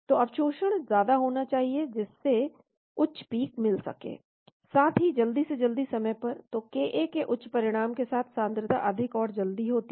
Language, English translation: Hindi, So absorption has to be high to reach higher peak as well as at faster time, so with the higher values of ka the concentration are higher and earlier